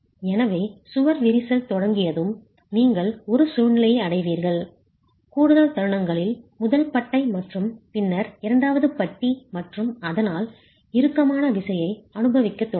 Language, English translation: Tamil, So once the wall starts cracking you reach a situation where with additional moments first bar and then the second bar and so on start experiencing tension